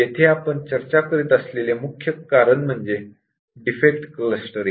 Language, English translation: Marathi, The main reason here as we are discussing is defect clustering